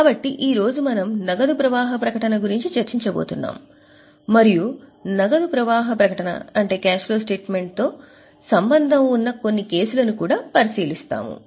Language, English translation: Telugu, So, today we are going to discuss the cash flow statement and we will also take a look at a few cases involving cash flow statement